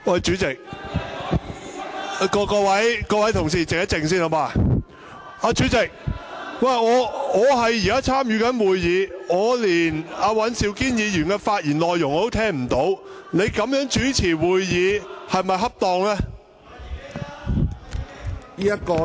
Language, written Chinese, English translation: Cantonese, 主席，我正在參與會議，但我連尹兆堅議員的發言內容也聽不到，你這樣主持會議是否恰當呢？, President I am participating in the meeting but I cannot even hear Mr Andrew WANs speech . Is it an appropriate way for you to chair the meeting?